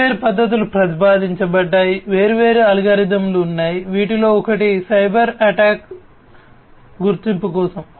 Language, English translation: Telugu, So, different method methodologies have been proposed, different algorithms are there, one of which is for cyber attack detection